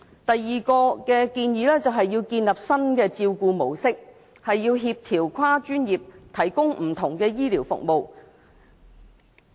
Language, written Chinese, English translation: Cantonese, 第二項建議是建立新的照顧模式，協調跨專業提供不同的醫療服務。, The second recommendation is developing new care models which facilitate the coordination of multidisciplinary health care services